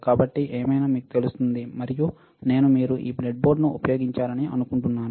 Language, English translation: Telugu, So, anyway you will know and I am sure that you have used this breadboard